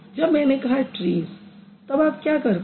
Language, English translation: Hindi, When I say trees, what do you do